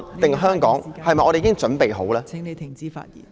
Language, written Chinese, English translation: Cantonese, 還是香港，我們是否已經準備好呢？, Is China Taiwan or Hong Kong well prepared?